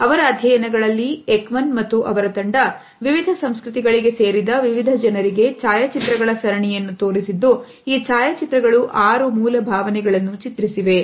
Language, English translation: Kannada, In his studies Ekman and his team, had showed a series of photographs to various people who belong to different cultures and these photos depicted six basic emotions